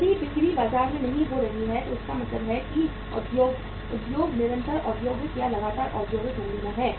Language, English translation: Hindi, If the sales are not picking up in the market it means the industry is in the continuous industrial or the persistent industrial recession